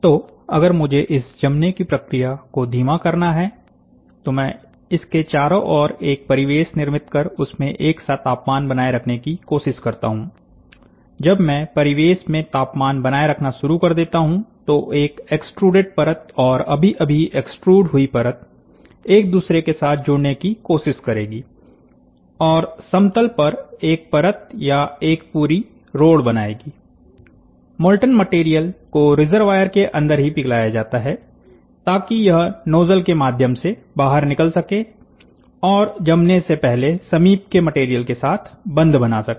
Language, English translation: Hindi, So, if I have to slow down the solidification process then, what I do is, I use an ambience around it and try to maintain a temperature in the ambience, when I start maintaining the temperature in the ambience, then the extruded layer and the, and the just extruded layer, we will try to join with each other and form a layer, or should be a or a road completely in a plane molten material is liquefied inside a reservoir so that, it can flow out through the nozzle and bond with the adjacent material before solidifying